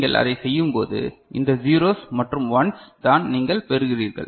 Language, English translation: Tamil, And when you do it, these are the you know, these 0s and 1s that is that you are getting